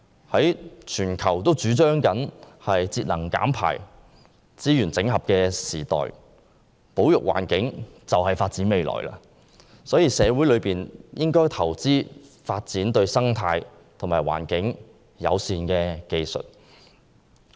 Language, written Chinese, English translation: Cantonese, 在全球主張節能減排、資源整合的時代，保育環境便是發展未來，所以社會應投資發展對生態和環境友善的技術。, Nowadays the whole world is promoting energy saving emission reduction and resource integration conservation of the environment is the trend for future development . Hence we should invest in ecological and environmentally - friendly technologies